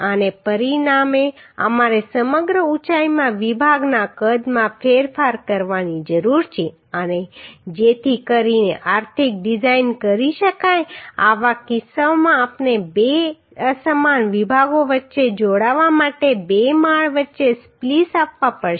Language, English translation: Gujarati, And as a result we need to change the section size across the height and so that the economic design can be done in such cases we have to provide splices between two floors to join between two two unequal sections